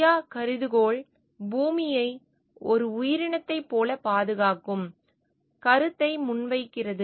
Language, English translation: Tamil, The Gaia hypothesis postulates the idea of preserving earth like a living organism